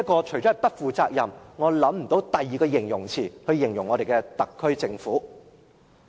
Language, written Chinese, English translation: Cantonese, 除了"不負責任"，我想不到有其他合適字眼可以形容我們的特區政府。, Apart from irresponsible I cannot think of another appropriate expression to describe our SAR Government